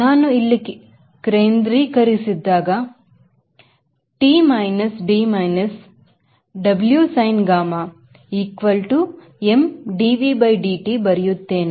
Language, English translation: Kannada, when i focus here i write t minus d minus w, sin gamma equal to m dv by dt, that is net force causing acceleration